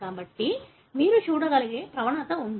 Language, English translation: Telugu, So, there is a gradient that you can see